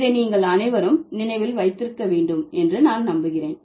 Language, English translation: Tamil, I hope all of you remember this